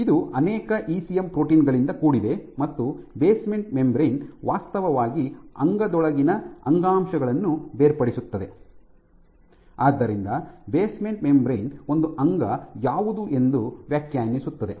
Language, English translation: Kannada, It is composed of multiple ECM proteins and what the basement membrane does it actually separates adjacent tissues within organ